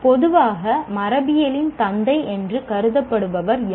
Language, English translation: Tamil, Who is generally considered as the father of genetics